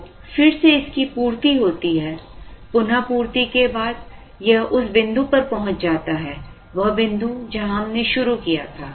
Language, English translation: Hindi, So, it is replenished and let us say, after the replenishment, it reaches this point, the point where we started